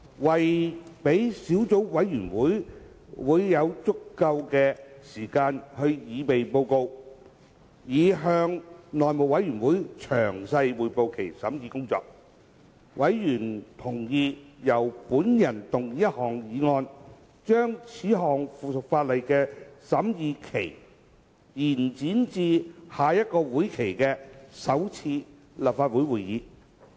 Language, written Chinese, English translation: Cantonese, 為了讓小組委員會有足夠時間擬備報告，以向內務委員會詳細匯報其審議工作，委員同意由本人動議一項議案，將此項附屬法例的審議期延展至下一會期的首次立法會會議。, To allow sufficient time for the Subcommittee to prepare a report detailing its deliberations for the House Committee members agreed that a motion be moved by me to extend the scrutiny period of the subsidiary legislation to the first sitting of the next session of the Legislative Council